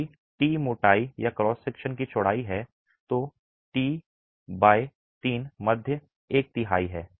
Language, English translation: Hindi, If t is the thickness or the width of the cross section, T by 3 is the middle 1 third